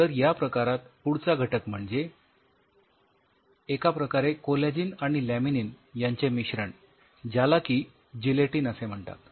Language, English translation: Marathi, Then in the same family we have a mix kind of stuff of collagen laminin called Gelatin